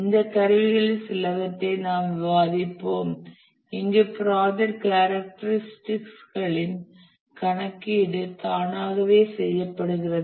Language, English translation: Tamil, We will discuss some of these tools where the computation of the characteristics of the project are done automatically